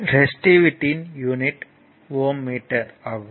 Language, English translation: Tamil, It is resistivity it is ohm meter